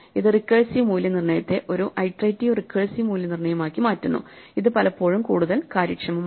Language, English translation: Malayalam, And this converts the recursive evaluation into an iterative evaluation, which is often much more efficient